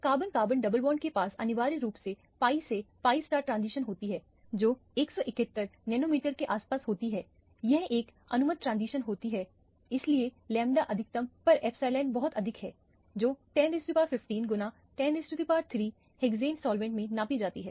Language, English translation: Hindi, The carbon carbon double bond essentially has a pi to pi star transition which occurs around 171 nanometer, it is an allowed transition that is why the epsilon at the lambda max is very high it is about 10 to the power 15 times, 10 to the power 3 or so measured in hexane as a solvent